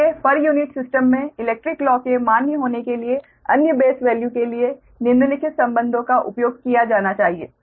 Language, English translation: Hindi, therefore, in order for electrical laws to be valid in the per unit system right, following relations must be used for other base values